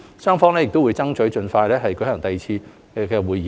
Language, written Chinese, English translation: Cantonese, 雙方會爭取盡快舉行第二次對接會議。, The two sides will strive to hold a second meeting as soon as possible